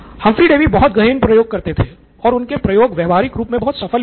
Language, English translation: Hindi, So, Humphry Davy was very thorough with this experiments and in practice it worked very well as well